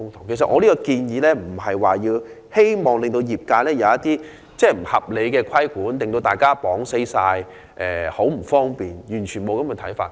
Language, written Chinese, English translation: Cantonese, 其實，我的建議並非希望令業界受到不合理規管，造成不便，我完全沒有這種想法。, In fact my proposed amendments do not mean to put the trade under unreasonable regulation and cause inconvenience . That is not my intention